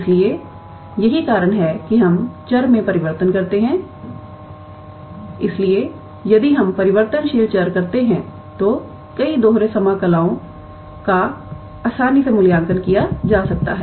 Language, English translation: Hindi, So, the reason why we do the change of variable is that, many double integrals can be evaluated easily if we do the change of variables